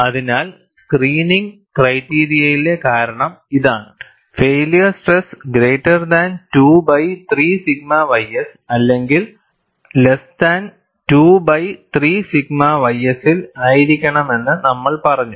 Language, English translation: Malayalam, So, this is the reason in the screening criteria, we have said that, the failure stress should be greater than 2 by 3 sigma y s or less than 2 by 3 sigma y s